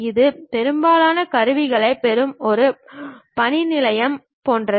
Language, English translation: Tamil, This is more like a workbench where you get most of the tools